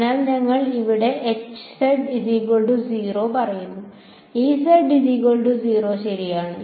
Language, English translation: Malayalam, So, we are going to choose